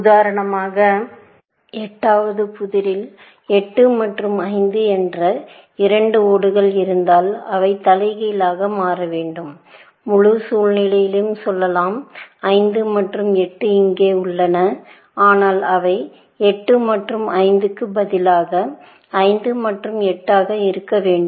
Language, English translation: Tamil, For example, in the 8th puzzle, it has been observed, that if there two tiles, let us say, 8 and 5; and they should be reversed, let us say, in the whole situation; 5 and 8 are here, but they should be 5 and 8, instead of 8 and 5